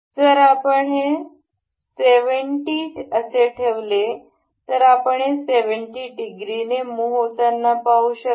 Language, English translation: Marathi, If we say this is 70, you can see this moving by 70 degrees